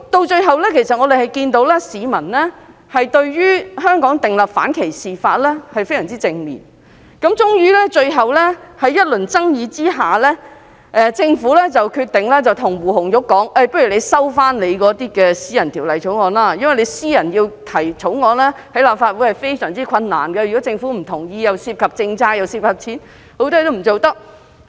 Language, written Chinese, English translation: Cantonese, 最後，政府看到市民對於香港訂立反歧視法的反應非常正面，終於在一輪爭議下，政府決定建議胡紅玉收回私人法案，因為個人在立法會提出私人法案非常困難，如果政府不同意，既涉及政策，又涉及金錢，很多事情也不能做。, Ultimately in view of the extremely positive public response to the idea of anti - discrimination legislation in Hong Kong and after much controversy the Government suggested that Ms Anna WU withdraw her private bill on the ground that it was very difficult for Members to succeed in having a private bill passed . If a private bill involves policy matters or has a financial implication it may be rejected by the Government . The leeway for Members to do their work in the form of a private bill is thus very limited